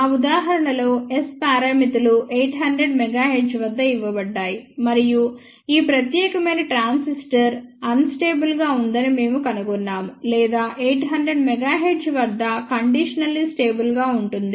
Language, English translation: Telugu, For that example S parameters were given at 800 mega hertz and we found out that this particular transistor is unstable or we call it conditionally stable at 800 mega hertz